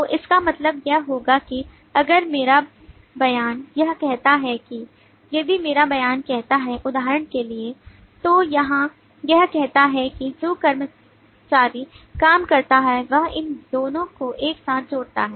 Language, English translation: Hindi, so this will mean that my statement says see, for example, here that it says that the employee who work so that relates these two together